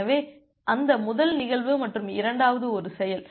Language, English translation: Tamil, So, that first one is the event and second one is the action